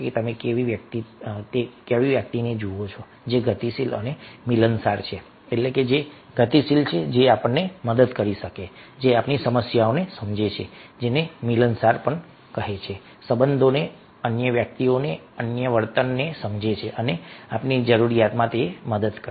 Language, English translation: Gujarati, you look, someone who is dynamic and sociable means, ah, who is dynamic, how can help, who understand our problems and who is also sociable, understand the relationship, other persons, others behavior, and help in our need